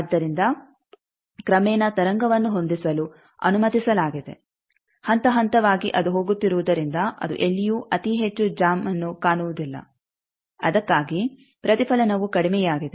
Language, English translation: Kannada, So, gradually the wave is allowed to match with the as progressively it is going it is nowhere seeing a very high jam that is why the reflection is low